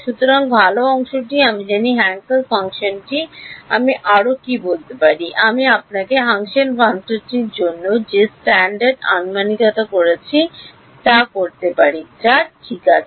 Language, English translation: Bengali, So, the good part is I know the Hankel function further what else can I say, I can make all the standard approximations that I had done for your Hankel function which is what that H naught 2 k rho right